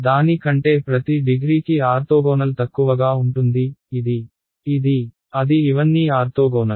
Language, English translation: Telugu, Orthogonal to every degree less than it so, it is orthogonal to this guy, this guy, this guy all of these guys